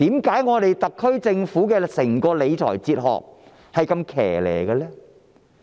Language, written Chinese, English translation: Cantonese, 為何特區政府整套理財哲學是如此奇特的呢？, Why is the SAR Governments fiscal philosophy so peculiar?